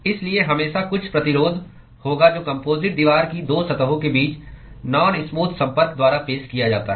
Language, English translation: Hindi, So therefore, there will always be certain resistance which is offered by the non smooth contact between the 2 surfaces of the composite wall